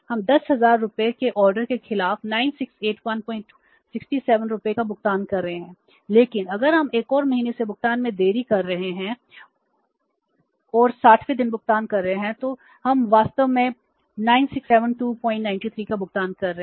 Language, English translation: Hindi, 67 rupees against the order of 10,000 rupees but if we are delaying the payment by another month and paying on the 60th day then we are say actually paying 967 2